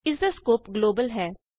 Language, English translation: Punjabi, It has a global scope